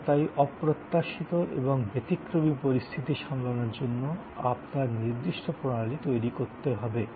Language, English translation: Bengali, And therefore, you have to have systems to handle exceptions as well as unforeseen circumstances